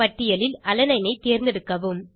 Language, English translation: Tamil, Select Alanine from the list